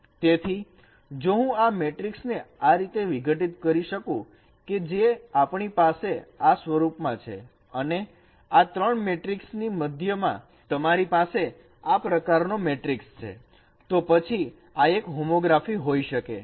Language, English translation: Gujarati, So if I can decompose this matrix in such a way that we have this in this form and at the middle of this matrices three matrices you have you have a matrix like this, then this could be an homography